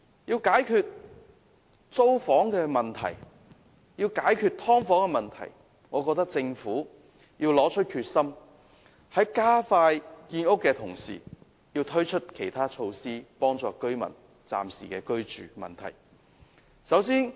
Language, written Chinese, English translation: Cantonese, 要解決租房和"劏房"問題，政府必須拿出決心，在加快建屋的同時，推出其他措施幫助居民應付暫時的居住問題。, To resolve the problems about renting a unit and subdivided units the Government has to demonstrate its determination by speeding up housing construction and at the same time adopting other measures to provide interim accommodation for people